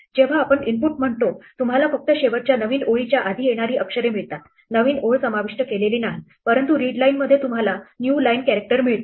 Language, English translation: Marathi, When you say input you only get the characters which come before the last new line the new line is not included, but in readline you do get the new line character